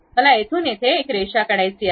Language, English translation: Marathi, I would like to draw a line from here to here to here